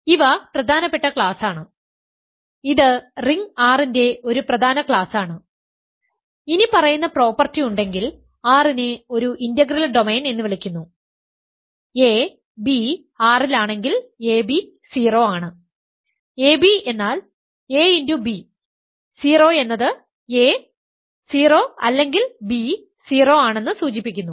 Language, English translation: Malayalam, So, these are important class; this is an important class of rings R is called an integral domain if the following property holds: a, b in R if a comma; a times b is 0, ab means a times b, 0 that implies that a is 0 or b is 0